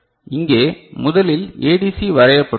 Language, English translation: Tamil, So, here first ADC is drawn right